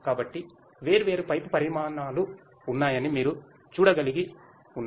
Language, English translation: Telugu, So, there are if you can see there are different pipe sizes